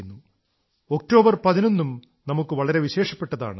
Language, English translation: Malayalam, 11th of October is also a special day for us